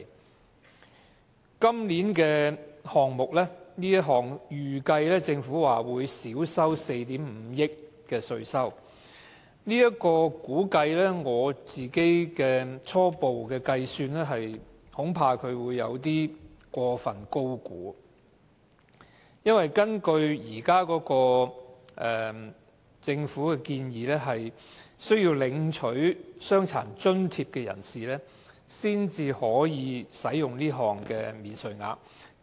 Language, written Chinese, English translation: Cantonese, 政府估計今年這個項目會令稅收減少4億 5,000 萬元，但根據我的初步計算，恐怕這是過分高估，因為根據政府現時的建議，只有領取傷殘津貼的人士才可享有這項免稅額。, The Government estimated that this proposal would lead to a reduction in revenue by 450 million but according to my preliminary calculation I am afraid that the amount has been overestimated . According to the Governments present proposal only recipients of disability allowance are eligible for this new allowance